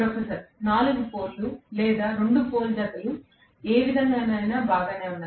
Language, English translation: Telugu, Professor: 4 poles or 2 pole pairs either way is fine, either way is fine, right